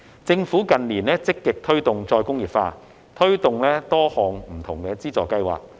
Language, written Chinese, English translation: Cantonese, 政府近年積極推動再工業化，推出多項不同的資助計劃。, The Government has been actively promoting re - industrialization in recent years by launching various funding schemes